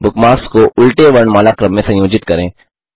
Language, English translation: Hindi, * Organize the bookmarks in reverse alphabetical order